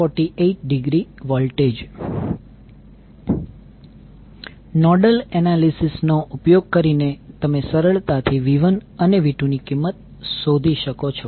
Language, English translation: Gujarati, So using nodal analysis you can easily find out the value of V 1 and V 2